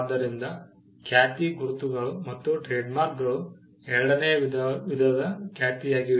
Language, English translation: Kannada, So, reputation, marks, trademarks, were type two reputation